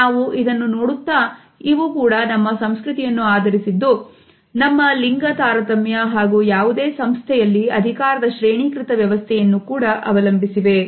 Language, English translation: Kannada, As we shall see it is also based with our cultural understanding, our gender differences as well as the power hierarchies within any organization